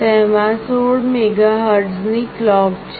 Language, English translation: Gujarati, It has a 16 MHz clock